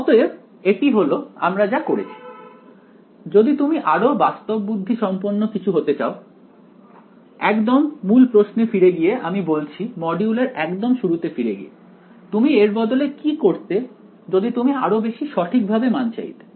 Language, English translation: Bengali, So, this is sort of what we did; if you want it to be more sophisticated going back to the very original question I asked the start of the module, what would you do instead what could you do instead if you want it more accuracy